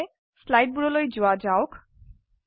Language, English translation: Assamese, Let us first go back to the slides